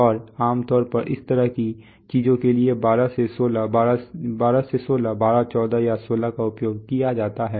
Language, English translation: Hindi, And generally for this kind of things 12 to16 are used 12, 14 or 16